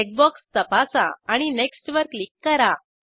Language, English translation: Marathi, Check the check box and click on Next